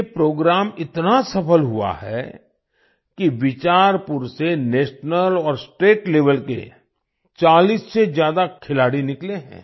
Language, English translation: Hindi, This program has been so successful that more than 40 national and state level players have emerged from Bicharpur